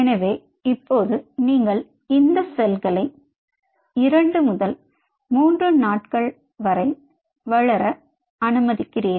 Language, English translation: Tamil, ok, so now you allow these cells to grow for, i would say, two to three days